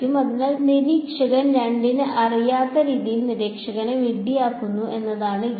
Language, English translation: Malayalam, So, the game is to sort of make a fool of observer 2 in a way that observer 2 does not know